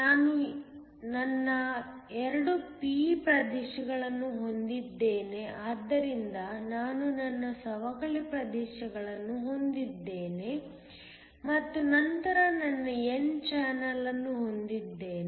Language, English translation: Kannada, I have my 2 p regions so that I have my depletion regions and then I have my n channel